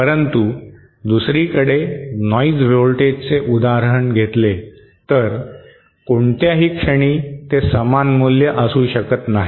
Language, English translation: Marathi, But on the other hand letÕs say noise voltage, at any instant it may not be the same value